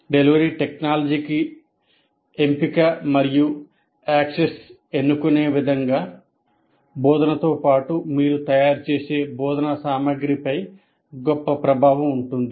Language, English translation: Telugu, In terms of choosing, the choice and access to a delivery technology will have a great influence on the instruction as well as the instruction material that you prepare